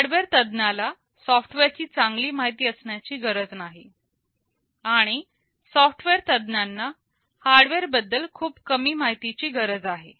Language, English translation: Marathi, The hardware expert need not know software very well and software experts need only know very little about the hardware